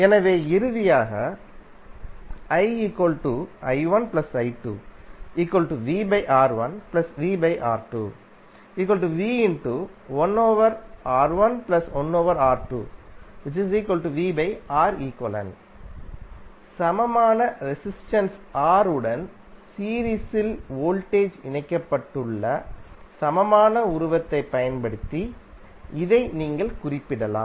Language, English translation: Tamil, This you can represent using the equivalent figure where voltage is connected in series with resistance R equivalent